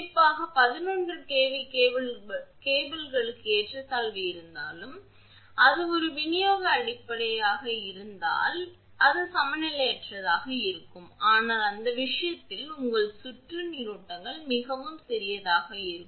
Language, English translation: Tamil, Even if the unbalance is there particularly for 11 kV cable and if it is a distribution system then it will be unbalanced, but any way in that case your circulating currents are very small